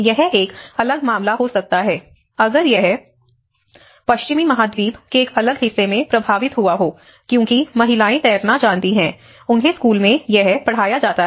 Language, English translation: Hindi, It may be a different case if it has affected in a different part of the Western continent because the women they know how to swim; they are taught in the school